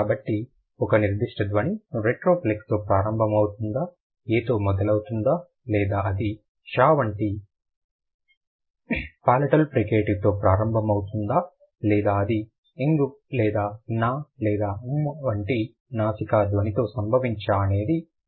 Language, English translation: Telugu, So, whether a particular sound can begin with a retroflex, begin with a, or we can say whether it can begin with a palatal fricative like sure or not, whether it can occur with a nasal sound like mm or n uh, so these kind of sounds